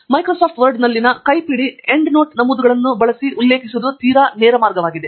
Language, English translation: Kannada, Referencing using manual endnote entries in Microsoft Word is quite straight forward